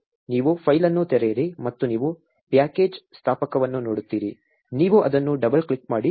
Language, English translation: Kannada, You just open the file and you will see package installer, you double click it